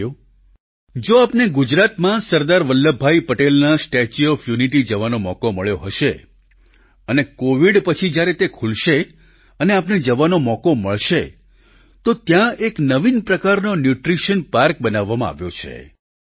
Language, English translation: Gujarati, Friends, if you have had the opportunity to visit the Statue of Unity of Sardar Vallabhbhai Patel in Gujarat, and when it opens after Covid Pandemic ends, you will have the opportunity to visit this spot